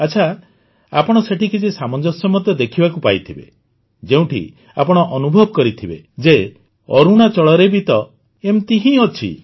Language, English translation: Odia, Well, you must have noticed some similarities there too, you would have thought that yes, it is the same in Arunachal too